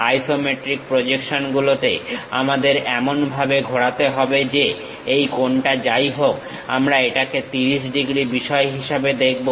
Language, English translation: Bengali, In the isometric projections, we have to rotate in such a way that; we will see this angle whatever it is making as 30 degrees thing